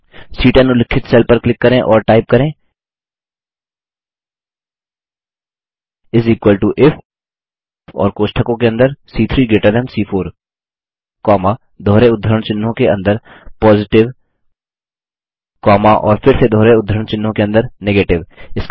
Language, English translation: Hindi, Lets click on the cell referenced as C10 and type, is equal to IF and within braces, C3 greater than C4 comma, within double quotes Positive comma and again within double quotes Negative